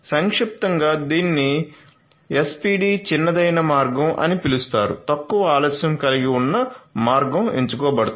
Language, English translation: Telugu, So, in short this is known as SPD the shortest path which has that the path which has the least delay is going to be chosen